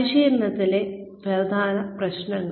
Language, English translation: Malayalam, Key issues in training